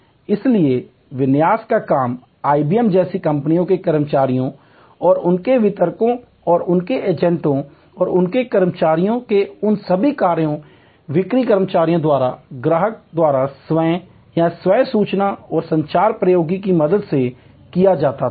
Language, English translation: Hindi, And so the configuration work was done by employees of the companies like IBM and their distributors and their agents, all those functions of their employees, sales employees by taking over by the customer himself or herself with the help of information and communication technology